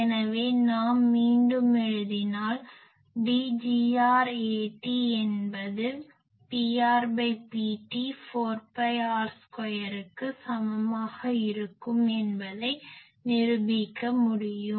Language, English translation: Tamil, So, if we again write we can prove that D gr A t will be equal to P r by P t 4 pi R square